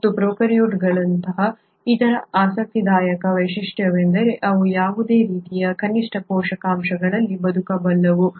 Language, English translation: Kannada, And the other most intriguing feature of prokaryotes are they can survive in any form of minimal nutrients